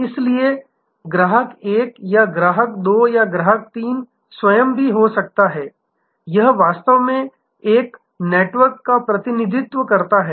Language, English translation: Hindi, So, therefore, the customer 1 or customer 2 or customer 3 themselves may also have, it actually represents a network